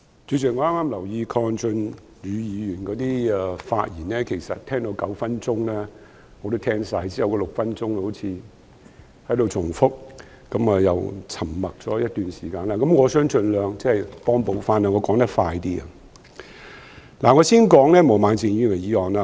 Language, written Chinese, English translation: Cantonese, 主席，我剛才留意鄺俊宇議員的發言，其實聽到9分鐘已經聽完，因為其後那6分鐘好像只在重複論點，而他又沉默了一段時間，所以，我想盡量追回一些時間，我會說得比較快。, President I listened attentively just now to Mr KWONG Chun - yus speech but it should have been finished by the ninth minute for he seemed to be repeating his arguments in the remaining six minutes and he did pause for a while . So in the hope of saving as much time as possible I will speak more quickly